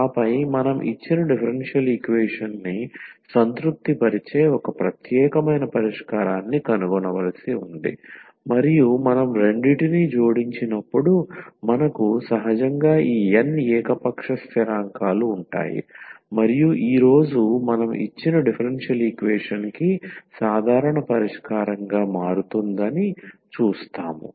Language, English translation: Telugu, And then we need to find just one particular solution which satisfies the given differential equation and when we add the two so we will have naturally these n arbitrary constants and today we will see that this will become a general solution of the given a differential equation